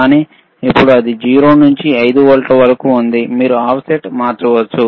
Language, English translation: Telugu, bBut now it is from 0 to 5 volts so, you can change the offset, all right